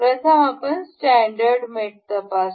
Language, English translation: Marathi, So, let us check the standard mates first